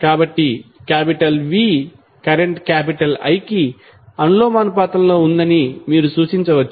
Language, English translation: Telugu, So, you can simply represent that V is directly proportional to current I